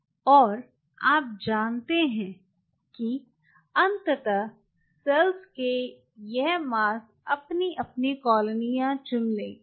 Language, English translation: Hindi, these mass of cells eventually, you know, pick up their colonies